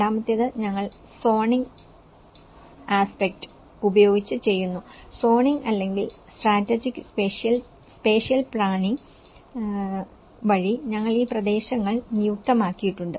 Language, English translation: Malayalam, The second one is we do with the zoning aspect; also we designated these areas through zoning or strategic spatial planning